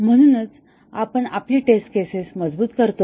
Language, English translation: Marathi, So, we strenghthen our test cases